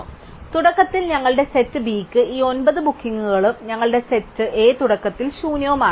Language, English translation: Malayalam, So, in this, the one with theÉ So, initially our set B has all these nine bookings and our set A is initially empty